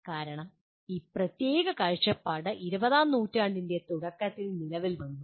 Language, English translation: Malayalam, That is because this particular viewpoint came into being during early part of the 20th century